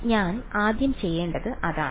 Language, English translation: Malayalam, So, that is the first thing I will do